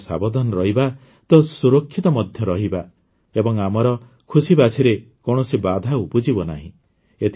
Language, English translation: Odia, If we are careful, then we will also be safe and there will be no hindrance in our enjoyment